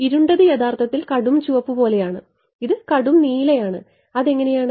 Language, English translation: Malayalam, The dark thing that actually that that is like the darkest red and this is the darkest blue that is how